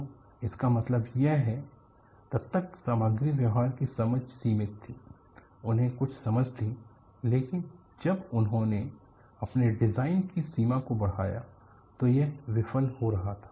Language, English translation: Hindi, So, that means the understanding of material behavior until then was limited; they had some understanding, but when they had stretched the design to its limits,it was failure